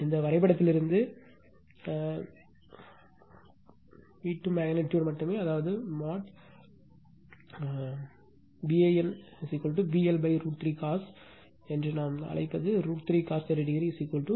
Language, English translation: Tamil, From this diagram only right magnitude u 2 so; that means, your what we call mod val is equal to V L upon root 3 cos here what we call root cos 30 is equal to 3 by 2